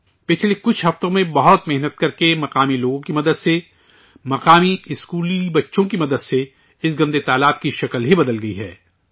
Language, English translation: Urdu, With a lot of hard work, with the help of local people, with the help of local school children, that dirty pond has been transformed in the last few weeks